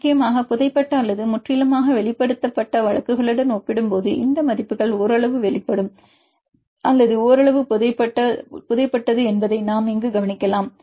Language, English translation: Tamil, And importantly if we notice here that the partially exposed case or partially burried case these values are less compared with the completely buried or completely expose cases